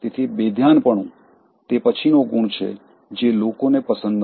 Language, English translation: Gujarati, So being inattentive, is the next quality they dislike